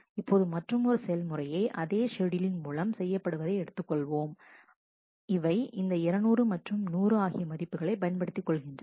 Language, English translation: Tamil, Now let us consider another execution by the same schedule which makes use of this value 200 and 100